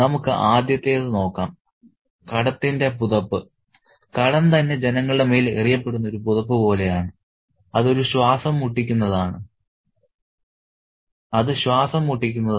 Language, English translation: Malayalam, The blanket of debt, debt itself is like a blanket that's thrown over the people and it's kind of suffocating